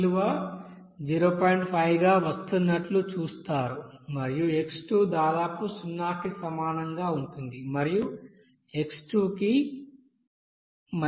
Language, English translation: Telugu, 5 and x will be equals to almost 0 and x will be equals t0 0